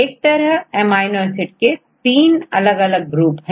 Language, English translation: Hindi, So, there are three different types of amino acids